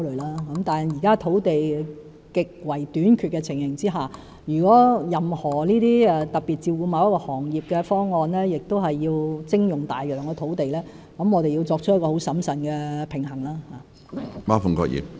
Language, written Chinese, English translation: Cantonese, 但是，在現時土地極為短缺的情形下，任何為特別照顧某個行業而要徵用大量土地的方案，我們必須十分審慎地作出平衡。, However given the present acute shortage of land we must consider most prudently any proposal requiring the use of a large stretch of land to especially cater for a certain industry